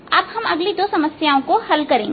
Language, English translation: Hindi, now we'll solve the next two problems